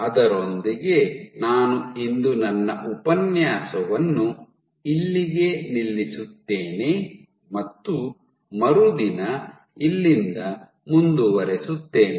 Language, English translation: Kannada, With that I stop my lecture today and I will continue from here the next day